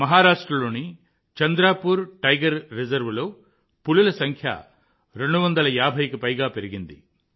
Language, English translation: Telugu, The number of tigers in the Tiger Reserve of Chandrapur, Maharashtra has risen to more than 250